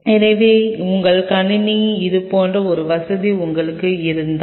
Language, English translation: Tamil, So, if you have to a facility like that within your system